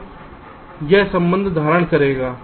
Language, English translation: Hindi, so this relationship will hold